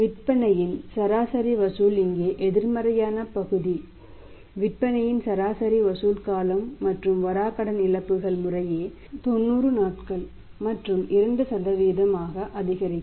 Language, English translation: Tamil, For the average collection period of the sales the negative part here is the average collection period of the sales and the bad debt losses will increase to 90 days and the 2% respectively